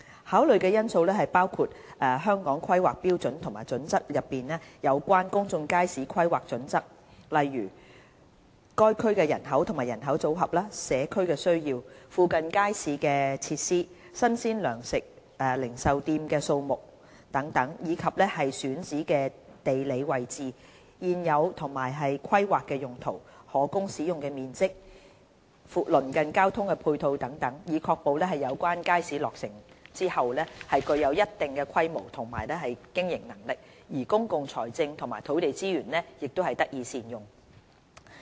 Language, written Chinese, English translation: Cantonese, 考慮的因素包括《香港規劃標準與準則》內有關公眾街市的規劃準則，例如：該區人口及人口組合、社區需要、附近街市設施、新鮮糧食零售店的數目等，以及選址的地理位置、現有及規劃用途、可供使用的面積、鄰近的交通配套等，以確保有關街市落成後具有一定的規模和經營能力，而公共財政和土地資源也能得以善用。, The factors to be taken into account include the planning standards for public markets in the Hong Kong Planning Standards and Guidelines such as the population and demographic mix of the area; community needs; the availability of market facilities and the number of fresh provision retail outlets in the vicinity; the geographical location existing and planned uses and usable area of potential sites; and ancillary transport facilities nearby in order to ensure that upon completion the markets will be of a substantial scale and viability and that public finances and land resources can be optimized